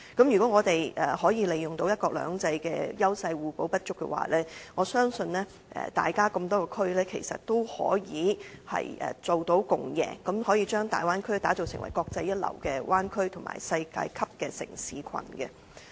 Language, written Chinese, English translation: Cantonese, 如果我們可以利用"一國兩制"的優勢互補不足，我相信各個地區其實都可以做到共贏，可以將大灣區打造成為國際一流的灣區及世界級的城市群。, If we can leverage on the edge of one country two systems and be complementary to each other I believe that a win - win situation can be achieved among various cities and the Bay Area can be built up as a bay area of international excellence and a world class city cluster